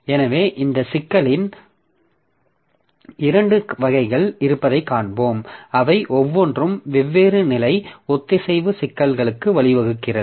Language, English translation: Tamil, So, we will see that there are two variants of this problem and each of them gives rise to different levels of synchronization problems